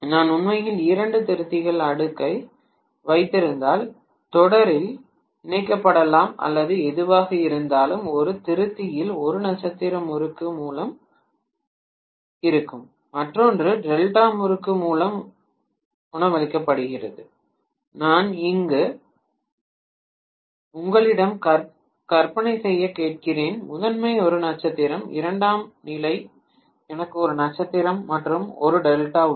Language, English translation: Tamil, If I am having actually two rectifiers cascaded, may be connected in series or whatever, one of the rectifier is being fed by a star winding and the other one is fed by a delta winding, what I am asking you to imagine is let us say the primary is a star, in the secondary I have one star and one delta